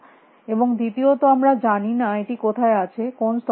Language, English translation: Bengali, And secondly, we do not know where it exists at what level it exists